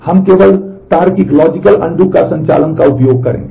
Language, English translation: Hindi, We will only use logical undo operation